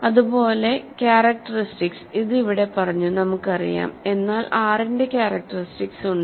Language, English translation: Malayalam, Similarly, we know that if characteristic this is covered here, but if characteristic of R is ok